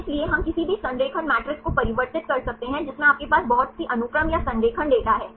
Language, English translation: Hindi, So, we can convert this any alignment matrix you have lot of sequences or the alignment data